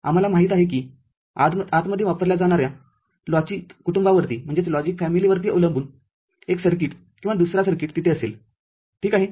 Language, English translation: Marathi, We’ll know that inside, depending on the logic family that is used one circuit or the other circuit will be there, ok